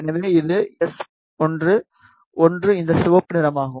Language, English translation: Tamil, So, this is S1, 1 this red one